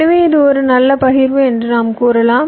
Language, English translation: Tamil, so we can say that this is a good partitions